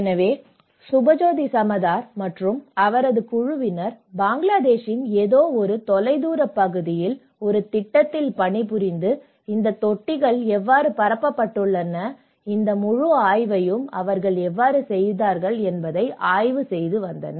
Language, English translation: Tamil, So, Subhajyoti Samaddar and his team worked as a project in some remote area of Bangladesh and how this set up of tanks have been diffused and how they did this whole survey